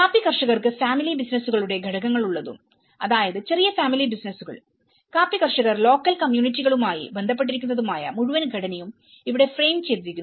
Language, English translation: Malayalam, And the whole structure has been framed where the coffee growers they have the constituents of family businesses a small family businesses and which are again linked with the coffee growers local communities